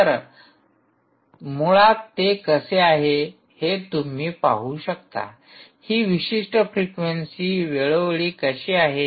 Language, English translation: Marathi, you can see that, ah, how this particular frequency where is over time